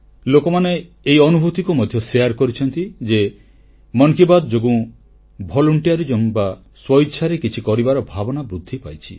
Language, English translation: Odia, People have shared their experiences, conveying the rise of selfless volunteerism as a consequence of 'Mann Ki Baat'